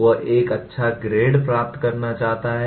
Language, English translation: Hindi, He wants to get a good grade